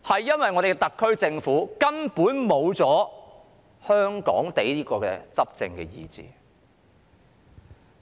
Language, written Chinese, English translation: Cantonese, 因為我們的特區政府根本失去了"香港地"的執政意志。, This is because our SAR Government has basically lost the Hong Kong - oriented governing ideology